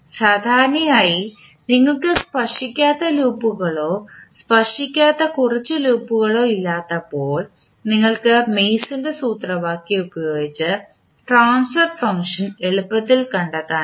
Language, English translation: Malayalam, So generally when you have no non touching loop or only few non touching loop you can utilize the Mason’s formula easily find out the transfer function